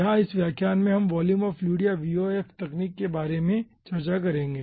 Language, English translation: Hindi, okay, ah, here in this lecture we will be discussing about volume of fluid or vof technology